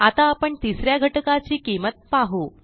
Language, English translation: Marathi, We shall now see the value of the third element